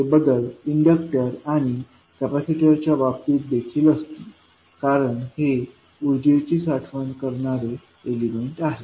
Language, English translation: Marathi, These changes would be there in case of inductor and capacitor because these are the energy storage elements